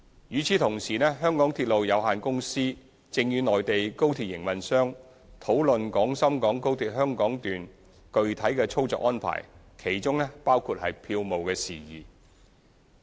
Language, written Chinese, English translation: Cantonese, 與此同時，香港鐵路有限公司正與內地高鐵營運商討論廣深港高鐵香港段具體操作安排，當中包括票務事宜。, At the same time the MTR Corporation Limited MTRCL is discussing with the Mainland high - speed rail operator on the actual operational arrangements including ticketing matters of the Hong Kong Section of XRL